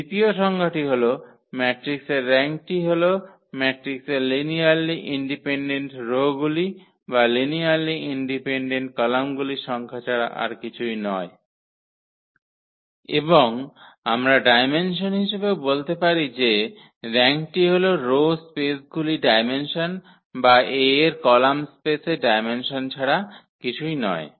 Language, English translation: Bengali, The definition number 2 the rank of a matrix is nothing but the number of linearly independent rows or number of linearly independent columns of the matrix and we in the terms of the dimension we can also say that the rank is nothing but the dimension of the row space or the dimension of the column space of A